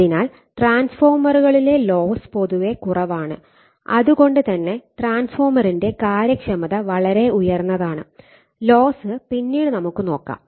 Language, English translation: Malayalam, So, losses in transformers are your generally low and therefore, efficiency of the transformer is very high, losses we will see later